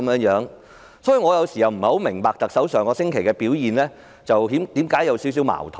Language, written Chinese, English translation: Cantonese, 因此，我有時也不太明白為何特首上星期的表現有點矛盾。, Hence somehow I do not quite understand why the Chief Executives performance was a bit contradictory last week